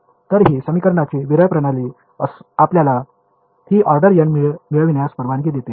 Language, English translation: Marathi, So, this sparse system of equations is what allows you to get this order n